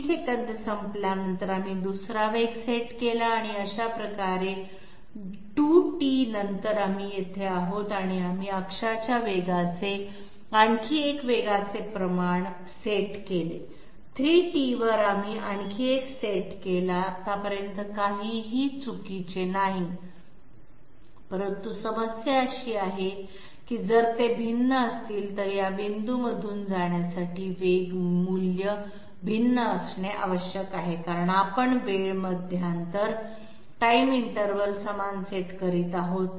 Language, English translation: Marathi, After T seconds is over, we set up another velocity and this way at after 2T we are here and we set up another velocity ratio of the axis velocity, at 3T we set up yet another one, so far so good nothing is wrong, but the problem is, if these are different then the velocity value has to be different in order to go through these points because the time interval we are setting the same